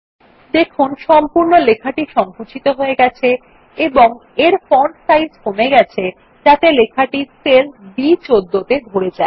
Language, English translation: Bengali, You see that the entire text shrinks and adjusts itself by decreasing its font size so that the text fits into the cell referenced as B14